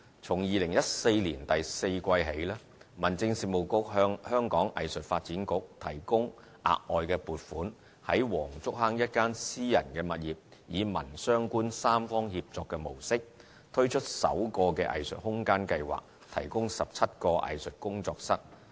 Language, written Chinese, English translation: Cantonese, 從2014年第四季起，民政事務局向香港藝術發展局提供額外撥款，於黃竹坑一私人物業以民、商、官三方協作的模式，推出首個藝術空間計劃，提供17個藝術工作室。, From the fourth quarter of 2014 onwards the Home Affairs Bureau has provided additional funding for the Hong Kong Arts Development Council HKADC to launch its first arts space scheme under which 17 studios are provided at a private property in Wong Chuk Hang in a tripartite cooperation model among the community the business sector and the Government